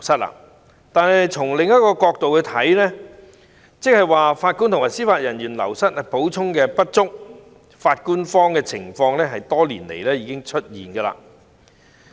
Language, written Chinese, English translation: Cantonese, 然而，從另一個角度來說，就是法官和司法人員流失的補充不足，"法官荒"的情況早在多年前已經出現。, However if we look from another perspective it means a failure to make up for the loss of JJOs and the judge shortage has already existed for many years